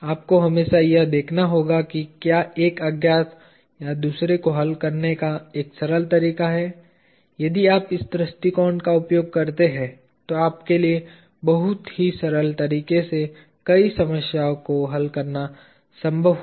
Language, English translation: Hindi, You will always have to look at is there a simple way to solve for one unknown or the other, if you do use this approach it will be possible for you to solve many problems in a very simple way